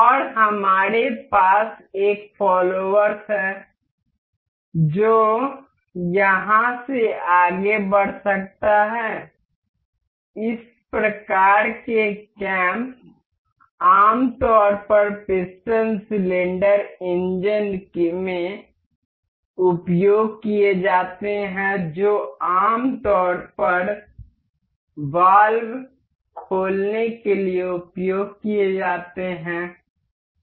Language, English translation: Hindi, And we have a follower that can move over here, these type of cams are generally used in piston cylinder engines that is generally used to open valves